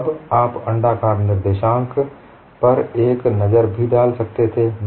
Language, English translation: Hindi, Then you could also have a look at the elliptic coordinates